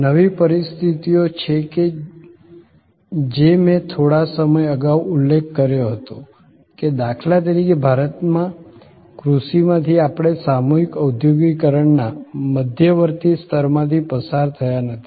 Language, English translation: Gujarati, There are new situations as I was little while back mentioning, that for example in India from agriculture we did not go through that intermediate level of mass industrialization